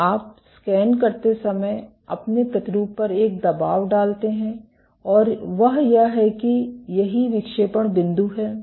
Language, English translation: Hindi, So, you put a press on your sample while scanning and that is what the deflection set point is